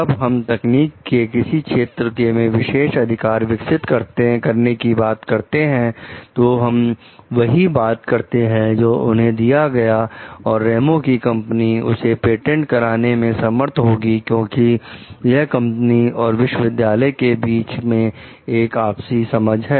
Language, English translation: Hindi, When you are talking of these exclusive rights of any technology developed in the field, we are talking of like, they will give them maybe though they this Ramos s company will be able to patent it also because that is the understanding between the company and the like university